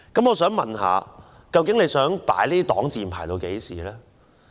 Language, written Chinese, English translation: Cantonese, 我想問政府究竟想用這擋箭牌到何時？, May I ask the Government for how long does it intend to use this pretext as a shield?